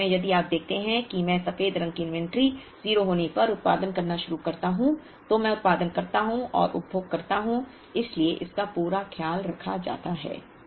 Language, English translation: Hindi, In the same graph if you see that I start producing when the inventory of white is 0, I produce and consume so why it is completely taken care of